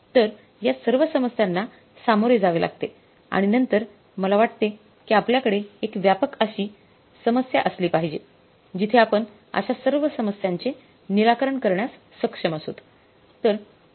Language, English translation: Marathi, So, if all these problems we have to deal with, then I think we should have a problem like that which is a comprehensive problem and there we are able to address all such issues